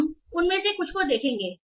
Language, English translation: Hindi, So we will see some of those